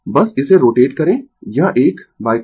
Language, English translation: Hindi, Your just rotate it this one by angle phi